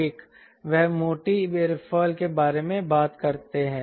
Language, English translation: Hindi, let me talk about thinner aerofoil